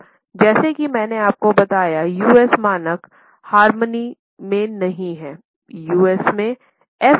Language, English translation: Hindi, Now, as I told you, the American standards or US standards are not in harmony